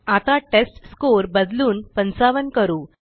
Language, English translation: Marathi, Now Let us change the testScore to 55